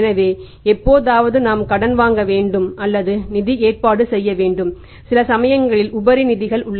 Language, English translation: Tamil, So, sometimes we need to borrow arrange funds and sometimes we have surplus funds